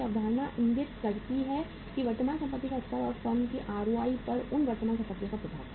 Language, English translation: Hindi, This concept indicates that the level of current assets and the impact of those current assets on the ROI of the firm